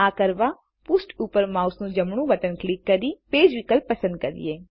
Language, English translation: Gujarati, To do this, right click on the page and choose the Page option